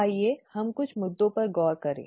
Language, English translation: Hindi, Let us look at some issues